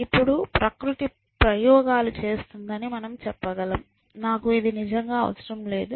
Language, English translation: Telugu, Now, you can say that nature is experimenting, I do not really need to say